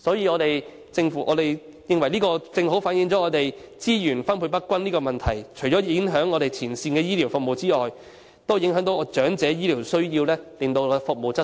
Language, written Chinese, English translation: Cantonese, 我們認為這正正反映資源分配不均的問題，除了影響前線醫療服務外，亦影響了長者所需的醫療服務的質素。, In our view this precisely reflects the problem of uneven distribution of resources . Apart from impacting the frontline healthcare services it has also affected the quality of the healthcare services needed by the elderly